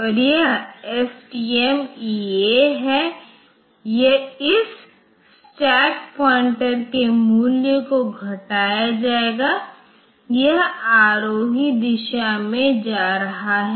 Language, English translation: Hindi, And this one STMEA, this stack pointer value will be decremented it is going the ascending direction